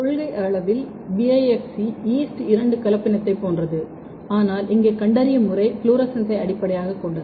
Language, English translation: Tamil, Similarly, this is in principle this is similar to the yeast two hybrid, but here the mode of detection is the fluorescent base